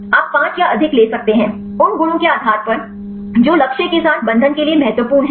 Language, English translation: Hindi, You can take a five or more; depending upon the properties which are important for the binding with the target